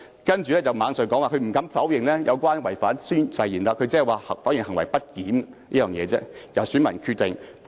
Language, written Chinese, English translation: Cantonese, 他接着又說不敢否認違反誓言，但否認行為不檢，因此應交由選民決定。, He then added that the matter should be decided by electors as he was not guilty of misbehaviour though he dared not deny breaching the oath